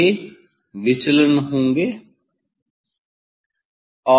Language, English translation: Hindi, these will be the deviation